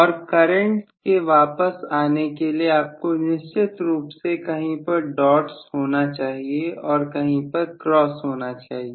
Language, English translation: Hindi, And for the current to return you definitely have to have dots somewhere cross somewhere